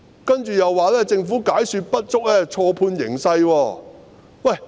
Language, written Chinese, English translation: Cantonese, 接着，她又說政府解說不足，錯判形勢。, She went on to say that the Government had failed to make adequate explanations and misjudged the situation